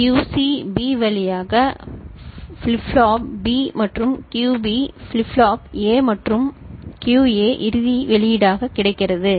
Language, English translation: Tamil, QC is getting loaded through B to flip flop B and QB to flip flop A and QA is available as the final output ok